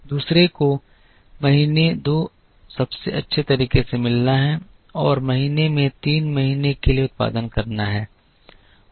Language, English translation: Hindi, The other is to meet month two in the best possible way and produce for month three in month three